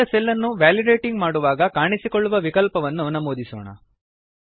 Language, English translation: Kannada, Lets enter the options which will appear on validating the selected cell